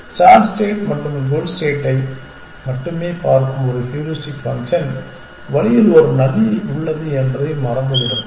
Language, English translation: Tamil, A heuristic function which is only looking at the start state and the goal state will be oblivious of the fact that there is a river on the way